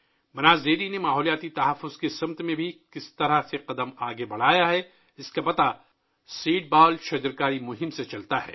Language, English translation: Urdu, How Banas Dairy has also taken a step forward in the direction of environmental protection is evident through the Seedball tree plantation campaign